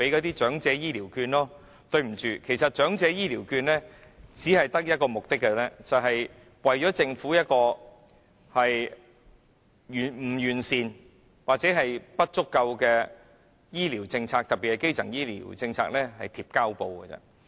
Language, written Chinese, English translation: Cantonese, 但是，對不起，其實長者醫療券只有一個目的，便是為政府不完善或不足夠的醫療政策——特別是基層醫療政策——"貼膠布"而已。, However sorry the Elderly Healthcare Vouchers serve only one purpose that is to put plasters on the defective or inadequate health care policy of the Government in particular on the primary health care policy